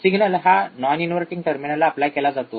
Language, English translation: Marathi, Signal is applied to the non inverting terminal